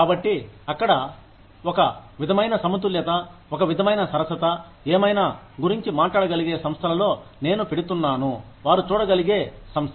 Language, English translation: Telugu, So, is there, some sort of a balance, some sort of a fairness, about whatever, I am putting in to the organization, that they can see